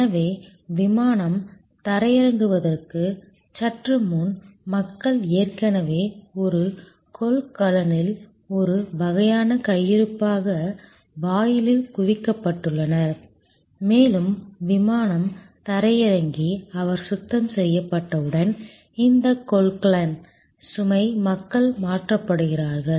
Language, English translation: Tamil, So, just at before the aircraft lands, people have been already accumulated at the gate as a sort of stock in a container and as soon as the aircraft lands and he is cleaned, these container load of people are then transferred